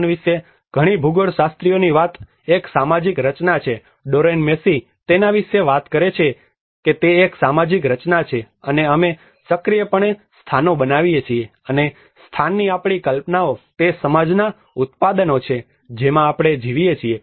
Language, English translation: Gujarati, So many geographers talk about place is a social construct, Doreen Massey talks about it is a social construct, and we actively make places and our ideas of place are products of the society in which we live